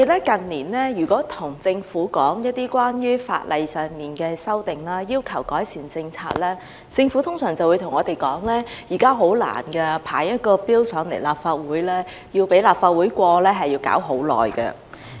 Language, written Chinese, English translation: Cantonese, 近年來，如果我們對政府提出關於法例的修訂，要求改善施政，政府通常會對我們說提交法案並獲立法會通過法案十分困難，亦需時很長。, In recent years when we proposed legislative amendments to improve governance the Government usually told us that the introduction of a bill and its passage by the Legislative Council involved great difficulties and a long process